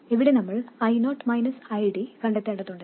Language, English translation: Malayalam, Here we need to find I0 minus ID